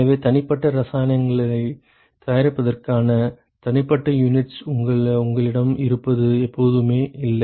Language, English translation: Tamil, So, it is never the case that you have individual units for manufacturing individual chemicals